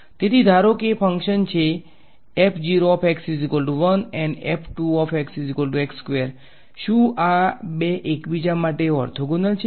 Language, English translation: Gujarati, We say that these two functions are orthogonal to each other right